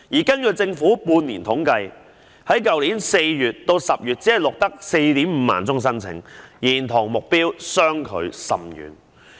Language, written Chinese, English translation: Cantonese, 根據政府的半年統計，去年4月至10月只錄得 45,000 宗申請，與目標相距甚遠。, According to the bi - annual survey conducted by the Government only 45 000 applications were recorded from April to October last year falling far short of the target